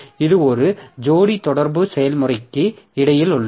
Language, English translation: Tamil, So, it is between one pair of communicating process